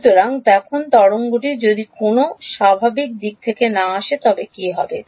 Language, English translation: Bengali, So, what will happen now even if the wave comes at a non normal direction what will happen